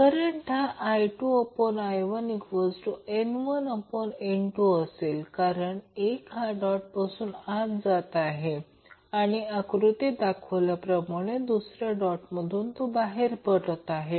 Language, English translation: Marathi, Current will be I2 by I1 is equal to N2 by N1, why because 1 is going inside the dotted terminal, other is coming outside of the dotted terminal